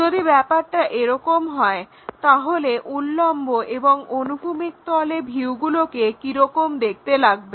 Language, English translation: Bengali, If that is the case how these views really look like on vertical plane and horizontal plane